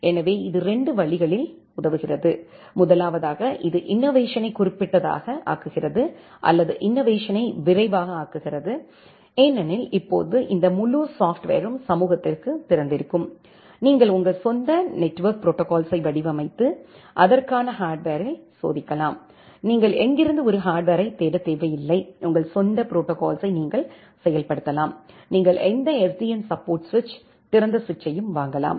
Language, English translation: Tamil, So, this helps in 2 ways: first of all, it makes the innovation specific or it makes the innovation rapid because now this entire software is open to the community, you can design your own network protocol and test on a hardware for that, you do not need to search for an hardware of where, you can implement your own protocol, you can purchase any SDN supported switch, open switch